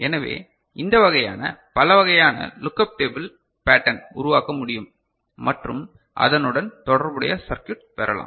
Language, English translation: Tamil, So, this way many different kind of you know, look up table kind of you know this pattern can be generated and corresponding circuit can be obtained